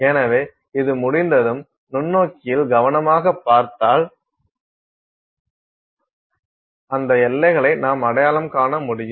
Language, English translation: Tamil, So, when this is done, if you look carefully in the microscope you may be able to identify those boundaries